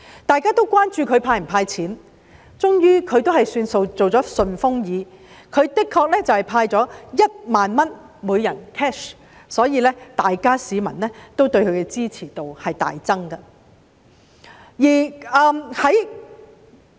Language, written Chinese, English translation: Cantonese, 大家都關注他會否"派錢"，終於他做了"順風耳"，向每名市民派發1萬元 cash， 所以市民對他的支持度大增。, Everyone was concerned whether he would hand out cash and he finally listened with super ears and handed out 10,000 cash to each citizen . Public support for him thus greatly increased